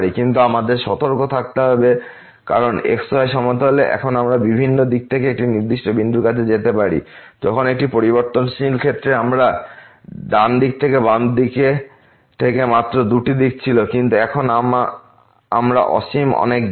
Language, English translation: Bengali, But we have to be careful because in the plane now we can approach to a particular point from several directions, while in case of one variable we had only two directions from the right hand side from the left hand side, but now we have infinitely many directions